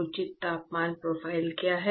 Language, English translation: Hindi, What is the proper temperature profile